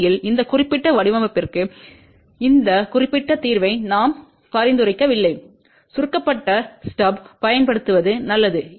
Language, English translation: Tamil, In fact, for this particular design I do not recommend this particular solution it is better to use shorted stub